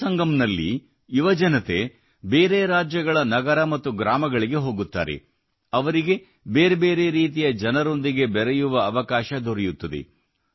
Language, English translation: Kannada, In 'Yuvasangam' youth visit cities and villages of other states, they get an opportunity to meet different types of people